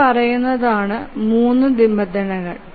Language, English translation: Malayalam, So these are the three constraints